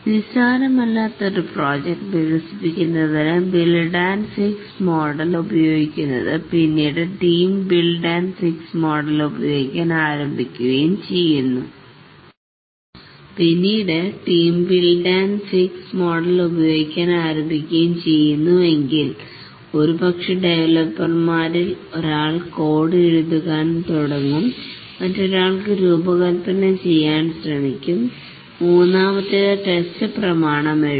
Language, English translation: Malayalam, If the build and fixed model is used for developing a non trivial project and a team starts using the build and fix model, then maybe one of the developers will start writing the code, another will try to design, the third one write to that do the test document and so on another may define the I